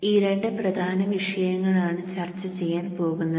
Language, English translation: Malayalam, So these two important topics we will discuss